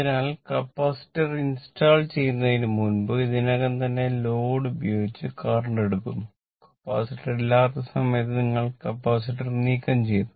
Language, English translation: Malayalam, For that that when before installing the Capacitor the current is already drawn by the load I told you at the time Capacitor is not there you remove the Capacitor